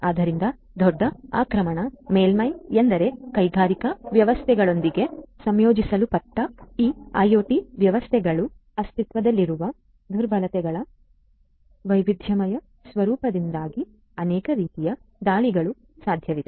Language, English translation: Kannada, So, that means, that large attack surface means that there are so many different types of attacks that are possible because of the diverse nature of vulnerabilities that exist in these IoT systems integrated with the industrial systems and so on